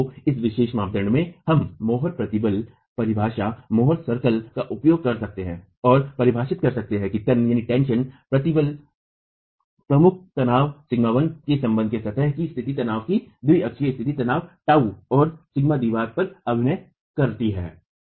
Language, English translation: Hindi, So, in this particular criterion, we can then use the more stress definition, the more circle and define what the tensile stress, the principal tension sigma 1 is with respect to the state of plane stress, the biaxial state of stress, tau and sigma acting on the wall